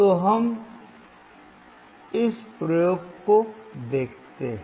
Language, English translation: Hindi, So, let us see this experiment